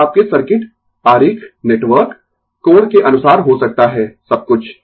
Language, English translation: Hindi, It may be in according to your circuit diagram network, angle everything right